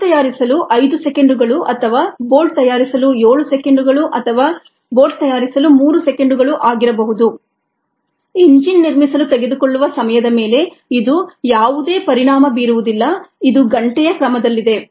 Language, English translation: Kannada, whether it takes five seconds to manufacture a bolt or seven seconds to manufacture a bolt, or three seconds to manufacture a bolt, has no impact on the time there it takes to build an engine